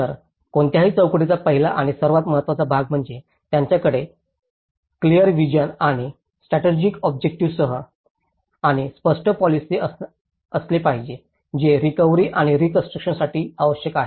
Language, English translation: Marathi, So, the very first and foremost part of the any framework is it should have a clear vision and a strategic objective and a clear policy which is needed for recovery and reconstruction